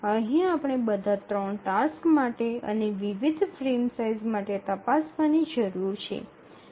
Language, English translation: Gujarati, So that we need to do for all the three tasks for the different frame sizes